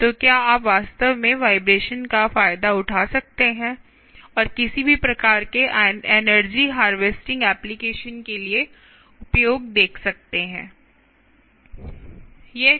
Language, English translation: Hindi, so can you actually exploit vibrations and see, use that for any sort of energy harvesting applications